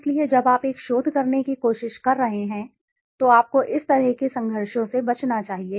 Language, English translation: Hindi, So when you are trying to do a research you should avoid such kind of conflicts